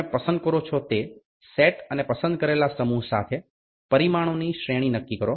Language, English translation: Gujarati, Determine the set you will select and the range of the dimension set with the selected set